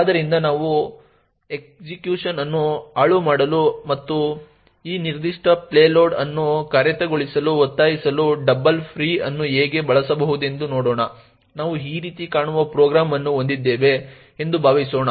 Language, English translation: Kannada, So let us see how a double free can be used to subvert execution and force this particular payload to execute, let us assume we have a program that looks something like this